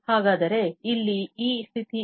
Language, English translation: Kannada, So, what is this condition here